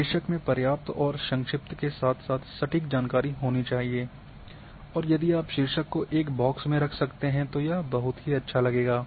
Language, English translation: Hindi, The title should have the sufficient information and brief as well as precise and if you can put title in a box that would look nice